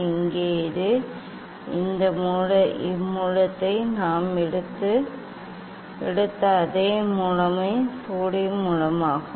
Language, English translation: Tamil, here this is the; this source, that source we have taken that is the sodium source